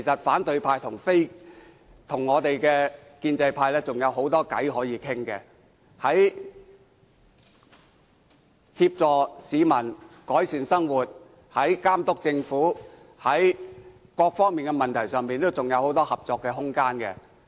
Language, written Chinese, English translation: Cantonese, 反對派和建制派日後仍有很多事情可以商量，在協助市民改善生活、監督政府等方面仍有很多合作空間。, In future the opposition and pro - establishment camps can still hold discussion on a number of matters . There is much room for cooperation in areas of improving peoples livelihood and monitoring the Government etc